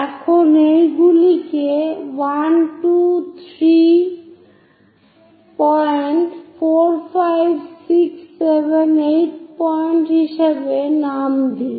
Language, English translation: Bengali, Now name these as 1, 2, 3rd point, 4, 5, 6, 7 and 8th point; 8 divisions are done